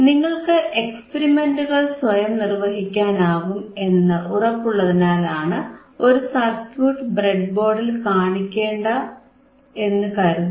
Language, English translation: Malayalam, And we I do not want to show you the same circuit on the breadboard or because now I am sure that you are able to perform the experiments by yourself